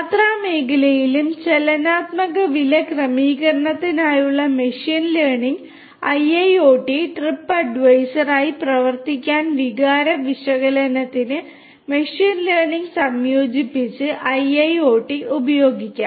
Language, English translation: Malayalam, In the travel sector also IIoT with machine learning for dynamic price setup, for sentiment analysis to act as trip advisor IIoT with machine learning combined can be used